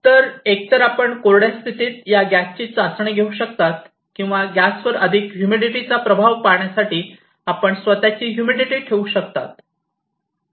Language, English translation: Marathi, So, either you can test this gas in dry condition or, you can put your own humidity to see the effect of gas plus humidity